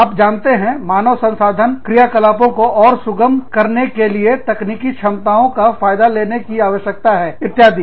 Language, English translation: Hindi, You know, needs to capitalize, on the potential of technology, to facilitate human resource functions, etcetera